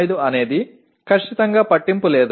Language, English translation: Telugu, 05 strictly does not matter